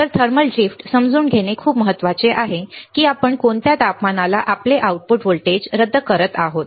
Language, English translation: Marathi, So, it is very important to understand the thermal drift that what temperature you are nullifying your output voltage